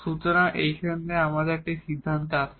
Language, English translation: Bengali, So, with this we come to the conclusion now